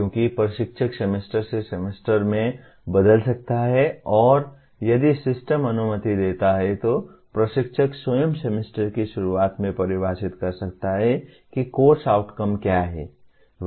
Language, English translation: Hindi, Because instructor may change from semester to semester and if the system permits instructor himself can define at the beginning of the semester what the course outcomes are